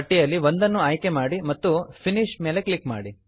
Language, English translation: Kannada, Choose one from the list and click on Finish